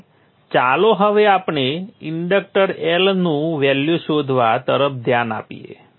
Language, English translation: Gujarati, So let us look at the inductor finding the value of i